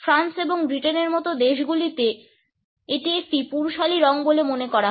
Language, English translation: Bengali, In countries like France and Britain, it is perceived to be a masculine color